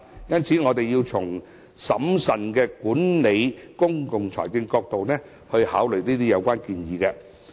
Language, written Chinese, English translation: Cantonese, 因此，我們要從審慎管理公共財政的角度來考慮這些相關建議。, Therefore we should consider the proposal concerned from the perspective of prudent management of public finances